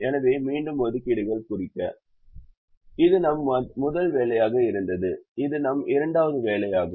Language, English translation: Tamil, so again to mark the assignments: this was our first assignment, this was our second assignment